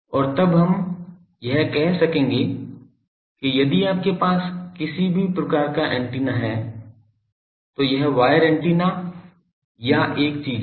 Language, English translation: Hindi, And then by that we will be able to say that if you have any type of antenna, be it wire antenna or a thing